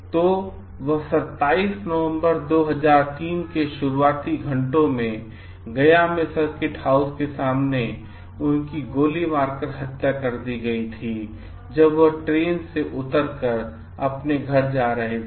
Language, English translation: Hindi, So, he was gun down in the early hours of November 27, 2003 in front of circuit house in Gaya where he was going to his residence after alighting from a train in Varanasi